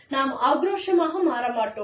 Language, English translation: Tamil, We will not become aggressive